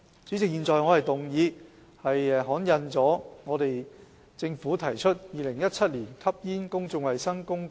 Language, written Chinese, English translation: Cantonese, 主席，我動議通過政府就《2017年吸煙令》提出的議案。, President I move that the motion on the Smoking Notices Amendment Order 2017 proposed by the Government be passed